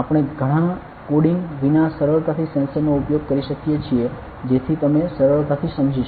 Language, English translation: Gujarati, Why we are doing this system we can easily use the sensor without much coding, so that you can easily understand ok